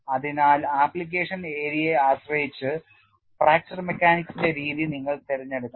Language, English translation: Malayalam, So, depending on the application area you have to choose the methodology of fracture mechanics